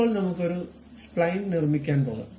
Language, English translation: Malayalam, Now, let us move on to construct a Spline